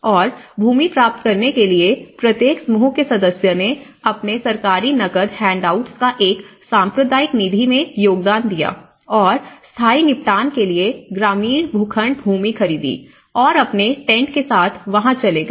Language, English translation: Hindi, And in order to obtain the land, each group member contributed its government cash handouts into a communal fund and bought rural plots of land for permanent settlement and moved there with their tents